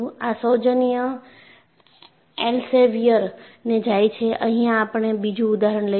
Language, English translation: Gujarati, And the courtesy goes to Elsevier, and we will take up another example